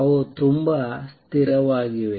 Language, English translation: Kannada, They are very, very stable